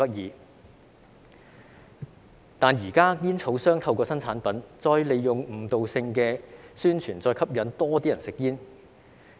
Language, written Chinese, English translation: Cantonese, 可是，現在煙草商透過新產品，再利用誤導性的宣傳，吸引更多人吸煙。, However nowadays tobacco companies are using new products and misleading publicity to attract more people to smoke